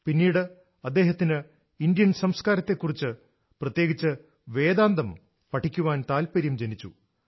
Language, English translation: Malayalam, Later he was drawn towards Indian culture, especially Vedanta